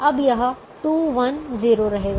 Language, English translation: Hindi, now this two, one zero will remain